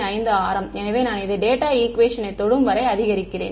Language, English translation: Tamil, 5 radius so I keep increasing this until I touch the data equation